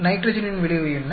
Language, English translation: Tamil, What is the effect of nitrogen